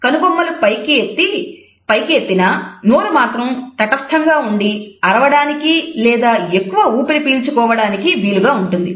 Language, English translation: Telugu, Someone will raise their eyebrows, but their mouth will also be in a neutral position to either scream or taking a big breath of oxygen